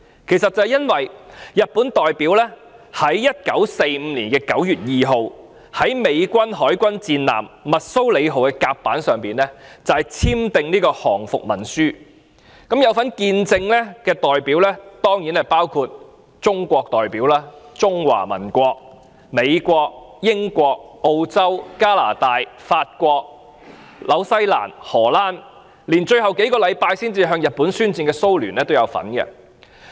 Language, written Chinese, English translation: Cantonese, 這是因為日本代表在1945年9月2日，於美國海軍戰艦密蘇里號的甲板上簽訂降伏文書，有份見證的代表當然包括中國、美國、英國、澳洲、加拿大、法國、新西蘭、荷蘭及最後數星期才向日本宣戰的蘇聯。, It is because the Japanese representative signed the Instrument of Surrender on the deck of the United States Battleship Missouri on 2 September 1945 and the witnesses included the representatives of China the United States the United Kingdom Australia Canada France New Zealand the Netherlands and the Soviet Union which declared war on Japan only in the last few weeks